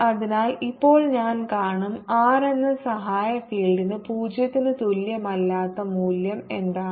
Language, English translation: Malayalam, ok, so now i will see what is the value for the auxiliary field h at r not equal to zero